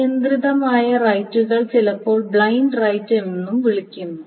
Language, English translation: Malayalam, Unconstrained rights are also sometimes called blind rights